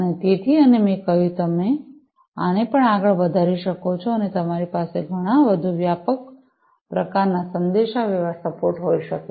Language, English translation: Gujarati, So, and as I said that you can extend this even further and you can have a much more comprehensive kind of communication, you know communication support